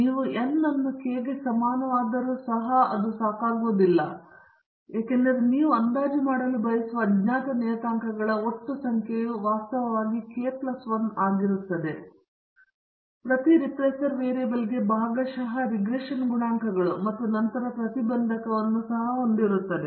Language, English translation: Kannada, If you have n is equal to k even that is not sufficient because the total number of unknown parameters you want to estimate is in fact k plus 1, the partial regression coefficients for each of the regressor variable and then you also have the intercept